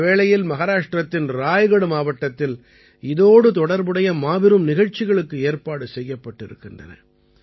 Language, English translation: Tamil, During this, grand programs related to it were organized in Raigad Fort in Maharashtra